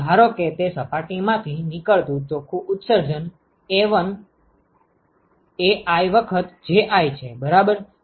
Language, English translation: Gujarati, So, supposing the net emission that comes out of that surface is Ai times Ji right